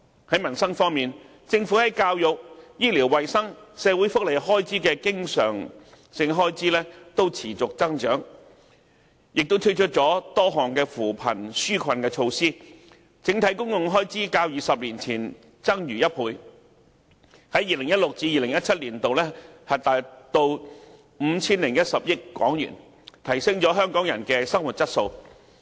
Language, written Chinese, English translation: Cantonese, 在民生方面，政府在教育、醫療衞生及社會福利的經常開支均持續增長，政府也推出了多項扶貧紓困措施，整體公共開支較20年前增逾1倍，在 2016-2017 年度達 5,010 億港元，提升了香港人的生活質素。, In respect of peoples livelihood the Governments recurrent expenditures on education health care and social welfare are on the increase . The Government has also adopted a series of poverty alleviation measures . The overall public spending has more than double that of 20 years ago and reached HK501 billion in 2016 - 2017